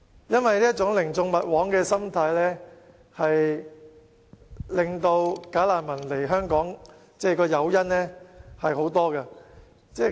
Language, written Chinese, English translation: Cantonese, 因為這種寧縱勿枉的心態，令"假難民"有很多誘因來港。, Owing to this mentality of letting them walk free rather than doing injustice bogus refugees have many incentives to come to Hong Kong